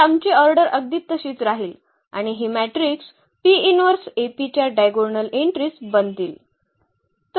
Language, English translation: Marathi, So, our order will remain exactly this one and this will become the diagonal entries of the matrix P inverse AP